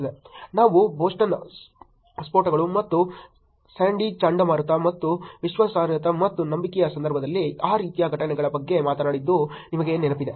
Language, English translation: Kannada, You remember we talked about Boston blasts and Hurricane Sandy and those kind of events in the context of credibility and trust